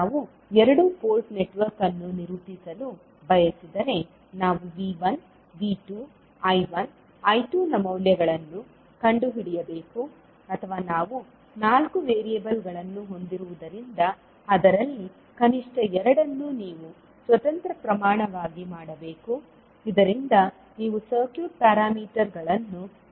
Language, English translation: Kannada, If we want to characterize the two port network we have to find out the values of the V1, V2, I1, I2 or since we have four in variables at least out of that you have to make 2 as an independent quantity so that you can find out the circuit parameters